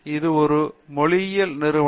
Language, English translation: Tamil, It’s a linguistic entity